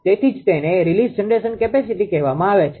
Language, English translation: Gujarati, So, that is why actually it is called released generation capacity